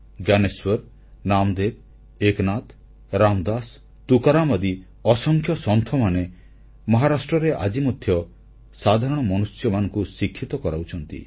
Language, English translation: Odia, Innumerable saints like Gyaneshwar, Namdev, Eknath, Ram Dass, Tukaram are relevant even today in educating the masses